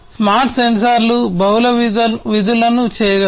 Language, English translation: Telugu, Smart sensors can perform multiple functions